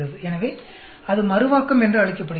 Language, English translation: Tamil, So, that is called Interaction